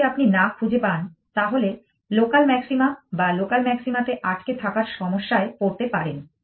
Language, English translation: Bengali, If you cannot, then you have this problem of having getting struck on local maxima or a local minima as the case